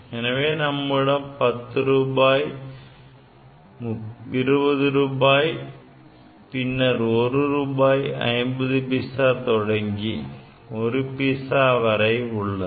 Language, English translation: Tamil, So, you have money in 10 rupees, 20 rupees then 1 rupees then 50 paisa etcetera is up to 1 paisa